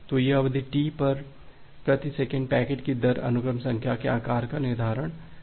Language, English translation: Hindi, So, this period T and the rate of packets per second determines the size of the sequence number